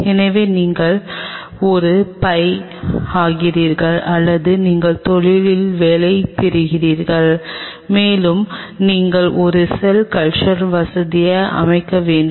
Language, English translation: Tamil, So, you become a pi or you get a job in the industry and you have to set up a cell culture facility